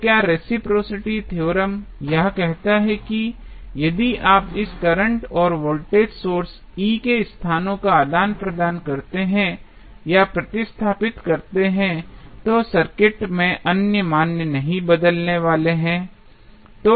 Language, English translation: Hindi, So, what reciprocity theorem says that if you replace if you exchange the locations of this current and voltage source, E, then the other values are not going to change in the circuit